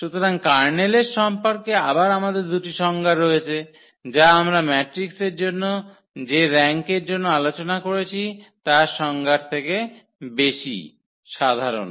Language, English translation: Bengali, So, these 2 again we have the 2 more definitions of about the kernel which is more general than the definition of the rank we have discussed for matrices